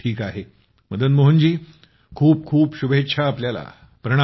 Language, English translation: Marathi, Okay, I wish you all the best